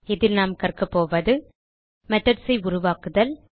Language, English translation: Tamil, In this tutorial we will learn To create a method